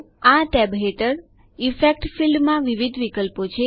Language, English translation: Gujarati, In the Effects field under this tab there are various options